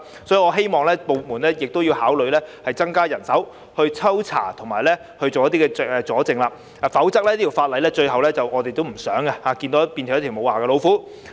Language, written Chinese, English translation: Cantonese, 所以，我希望有關部門考慮增加人手進行抽查和搜證的工作，否則，這項法例最後便會變成"無牙老虎"，這不是我們想看到的。, Therefore I hope that the relevant departments will consider increasing the manpower for random inspection and evidence collection . Otherwise this piece of legislation will end up becoming a toothless tiger which is the very last thing we want to see